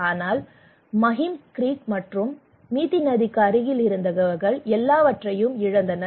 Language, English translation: Tamil, But people who are close to the Mahim Creek or river they lost everything